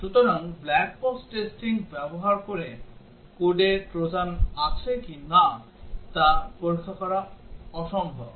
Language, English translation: Bengali, So, using black box testing, it is impossible to check whether there are Trojans in the code